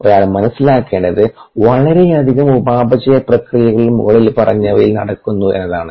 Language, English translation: Malayalam, what one needs to understand is that very many metabolic processes contribute the above